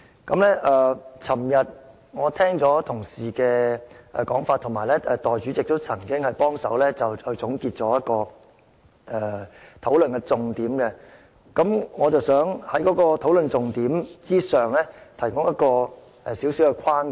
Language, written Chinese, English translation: Cantonese, 昨天我聽了同事的說法，而代理主席亦曾總結討論的重點，我想在討論的重點之上提出一個小框架。, Yesterday I listened to the remarks made by Honourable colleagues and the Deputy President also wrapped up the salient points of the discussion . On this basis of discussion I wish to propose a small framework